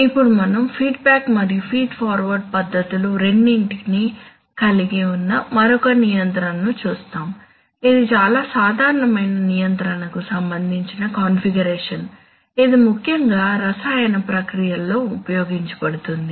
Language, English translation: Telugu, Now we look at another control which is like a, which has both a feedback and a and a feed forward flavor, it is a very common control configuration which is used in especially in chemical processes